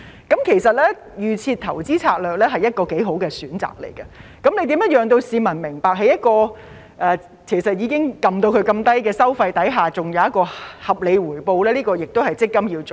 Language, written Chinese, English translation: Cantonese, 因此，預設投資策略便是一個不錯的選擇，如何讓市民明白到在一個已經調至相當低的收費下仍然會有合理回報，這也是積金局要做的。, In this case the Default Investment Strategy is a good choice . Letting people understand that a reasonable return can be yielded with fairly low fees is also what MPFA has to do . The other measure is semi - portability